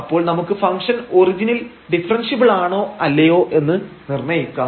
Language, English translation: Malayalam, So, we will determine whether the function is differentiable at the origin or not